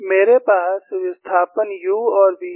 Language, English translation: Hindi, I have the displacements u and v